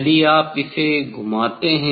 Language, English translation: Hindi, if you rotate this one